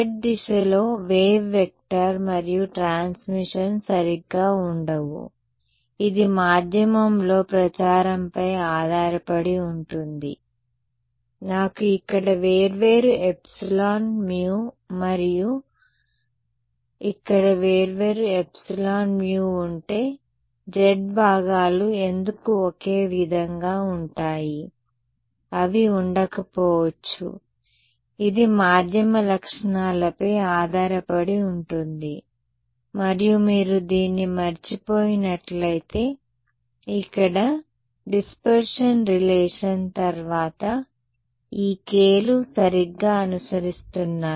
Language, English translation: Telugu, The wave vector and transmission along the z direction will not be the same right, it depends on the propagation in the medium, if I have different epsilon mu here and different epsilon mu here, why will the z components be the same, they may not be right, it depends on the medium properties and in case you forgot this was the relation followed by the dispersion relation over here, this is what these k’s are following right